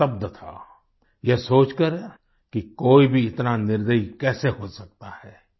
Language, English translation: Hindi, He was left stunned at how one could be so merciless